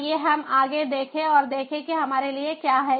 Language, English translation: Hindi, let us look further ahead and see what is there in ah for us